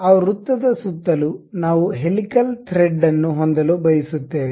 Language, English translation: Kannada, Around that circle we would like to have a helical thread